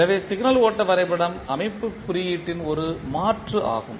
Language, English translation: Tamil, So, Signal Flow Graphs are also an alternative system representation